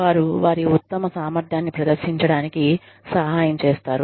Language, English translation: Telugu, They are helped to perform, to their best potential